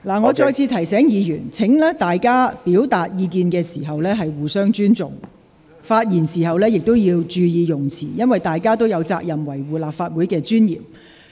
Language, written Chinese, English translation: Cantonese, 我再次提醒議員，大家表達意見時要互相尊重，發言時亦要注意用詞，因為大家都有責任維護立法會的尊嚴。, Once again I wish to remind Members that they should respect each other when expressing their views and mind their language when speaking because we all have a responsibility to safeguard the dignity of the Legislative Council